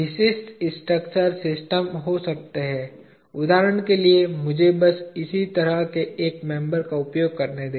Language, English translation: Hindi, Typical structural systems could be; for example, let me just use this same kind of member